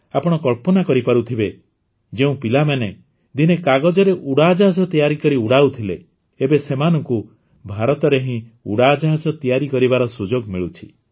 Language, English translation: Odia, You can imagine the children who once made paper airplanes and used to fly them with their hands are now getting a chance to make airplanes in India itself